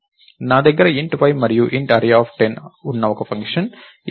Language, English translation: Telugu, I have a function f which has int y and array of 10